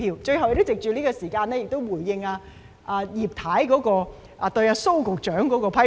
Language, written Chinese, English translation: Cantonese, 藉最後的時間，我想回應葉太對蘇局長的批評。, I would like to take this last moment to respond to Mrs IPs criticism of Secretary SO